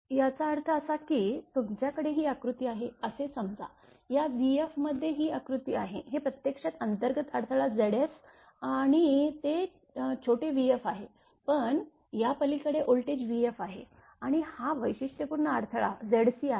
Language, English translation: Marathi, That means, it shows suppose you have, suppose you have this is the diagram this is voltage this across this v f this is actually internal impedance Z s and it is small v f given, but across this the voltage is v f and this characteristic impedance is Z c right